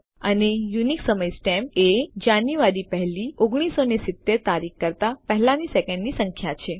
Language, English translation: Gujarati, And the unique time stamp is the number of seconds before January the 1st 1970